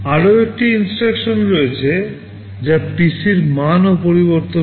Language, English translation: Bengali, There is another kind of an instruction that also changes the value of PC